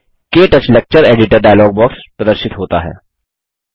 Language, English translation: Hindi, The KTouch Lecture Editor dialogue box appears